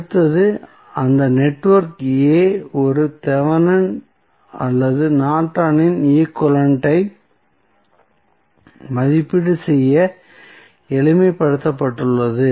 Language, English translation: Tamil, So, what next is that network a simplified to evaluate either Thevenin's orNorton's equivalent